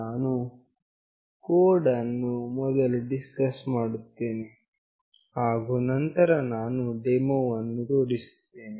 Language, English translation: Kannada, I will be discussing the code first, and then I will demonstrate